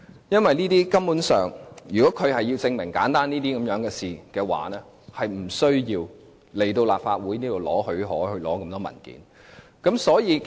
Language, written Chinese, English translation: Cantonese, 如果律政司要證明如此簡單的事情，是無須向立法會申請許可，索取這麼多文件的。, If DoJ has to prove such simple things it is unnecessary for it to apply for special leave of the Legislative Council for soliciting so many documents